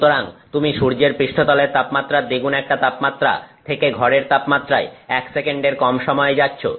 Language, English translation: Bengali, So, you are going from the from a temperature twice that of the temperature of the sun to room temperature in less than 1 second